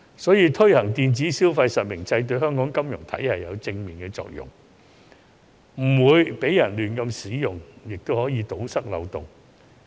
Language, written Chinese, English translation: Cantonese, 因此，推行電子消費實名制對香港金融體系有正面的作用，既保證不會出現亂用，又可以堵塞漏洞。, For this reason the implementation of a real - name registration system for electronic consumption will have a positive effect on Hong Kongs financial system . While ensuring that the use of Octopus cards will not be abused it can also plug the loophole